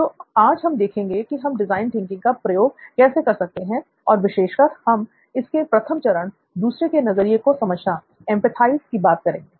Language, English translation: Hindi, So we today will look at how to apply design thinking and in particular we look at the first stage of design thinking called empathize